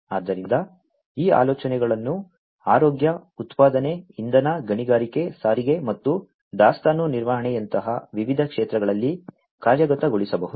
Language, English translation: Kannada, So, these ideas could be implemented in different sectors healthcare, manufacturing, energy, mining, transportation and inventory management are a few to name